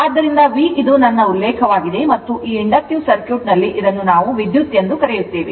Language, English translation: Kannada, So, V is my reference thing and your what we call this is the current I say R it is in it is inductive circuit